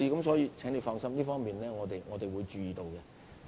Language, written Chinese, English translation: Cantonese, 所以，請柯議員放心，這方面我們會注意。, Therefore Mr OR can rest assure that we will pay attention to this